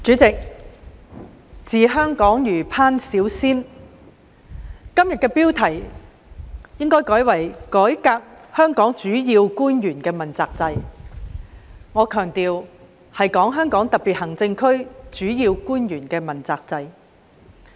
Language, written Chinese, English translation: Cantonese, 主席，"治香港若烹小鮮"，今天這項議案的標題應改為"改革香港主要官員問責制"，我強調是指香港特別行政區的主要官員問責制。, President ruling Hong Kong is just like cooking a small fish and the title of this motion moved today should be amended to Reforming Hong Hongs accountability system for principal officials . Let me emphasize that we are talking about the accountability system implemented in the Hong Kong Special Administrative Region HKSAR for principal officials